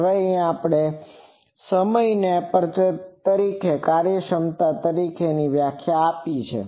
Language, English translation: Gujarati, Now, we have that time defined a term called aperture efficiency